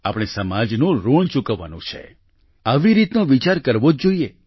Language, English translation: Gujarati, We have to pay the debt of society, we must think on these lines